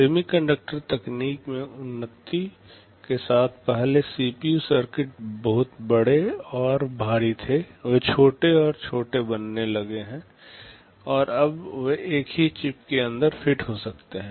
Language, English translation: Hindi, With the advancement in semiconductor technology earlier CPU circuits were very large and bulky; they have started to become smaller and smaller, and now they can fit inside a single chip